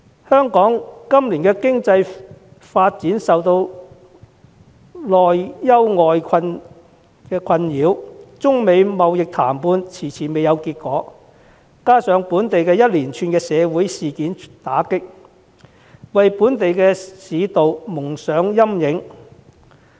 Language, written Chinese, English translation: Cantonese, 香港今年的經濟發展內外交困，中美貿易談判遲遲未有結果，加上本地一連串的社會事件打擊，令本地市道蒙上陰影。, Hong Kongs economic development this year is beset with both internal and external difficulties as the economy has been clouded by social events at home and trade negotiation between China and the United States has yet to yield results